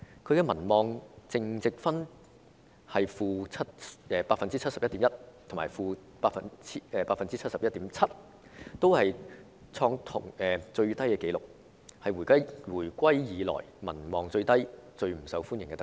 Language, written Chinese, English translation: Cantonese, 她的民望淨值分別是 -71.1% 和 -71.7%， 同樣創下最低紀錄，成為回歸以來民望最低、最不受歡迎的特首。, Her net approval rates were - 71.1 % and - 71.7 % respectively also the lowest in record so she has become the most unpopular Chief Executive with the lowest popularity rating since the reunification